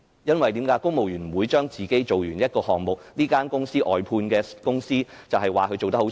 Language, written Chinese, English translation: Cantonese, 因為公務員不會自己完成一個項目，便說是某間外判公司做得差。, Civil servants would not complete a task on their own and say some contractor has done a bad job because if they do so who has done a bad job?